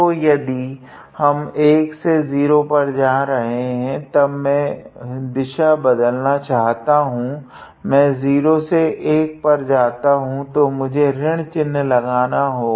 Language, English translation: Hindi, So, if we are going from 1 to 0, then I want to reverse the direction I want to go from 0 to 1, so, I have to put a minus sign here